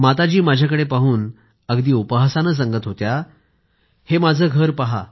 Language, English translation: Marathi, And she was looking at me and mockingly,saying, "Look at my house